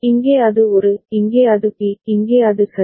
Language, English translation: Tamil, And here it is A; here it is B; here it is C ok